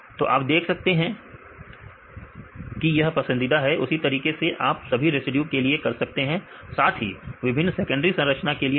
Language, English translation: Hindi, So, you can see this is a preferred 1 likewise you can do it for the all the residues as well as the different secondary structure right